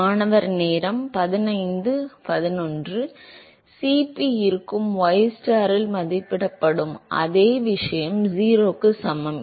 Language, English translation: Tamil, Cf will be, same thing evaluated at ystar is equal to 0